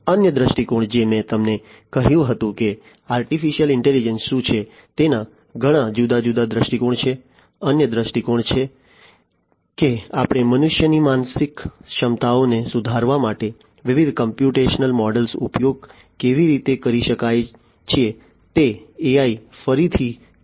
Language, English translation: Gujarati, Another viewpoint as I told you that there are many different viewpoints of what AI is; another viewpoint is how we can use how we can use the different computational models to improve the mental faculties of humans is what again AI can do